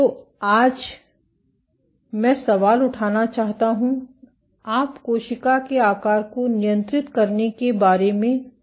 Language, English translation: Hindi, So, the question I want to raise todays, how do you go about controlling cell shape